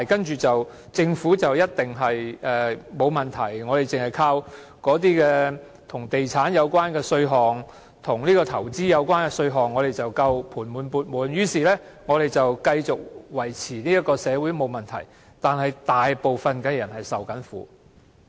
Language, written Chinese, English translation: Cantonese, 政府便一定沒有問題了，而我們便單靠與地產和投資有關的稅項便足夠了，盤滿缽滿，於是我們這樣便可繼續維持這個社會而沒有問題，可是大部分人正在受苦。, The Government would definitely have no problem . And we can simply rely on tax revenue from properties and investment to be sufficient and enjoy handsome wealth . And in such a way we can sustain this society without any problem albeit most people are suffering